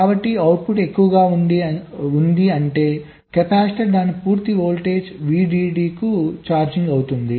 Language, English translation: Telugu, so the output is high, which means the capacitor is charging to its full voltage